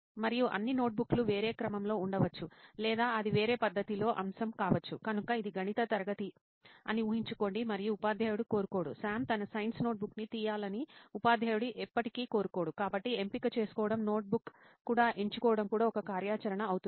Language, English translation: Telugu, and all the notebooks might be in a different sequence or it might be a topic in a different manner, so imagine it is a maths class and the teacher does not want, the teacher will never want Sam to take out his science notebook, so selecting the And I think there will be different notebooks for each subject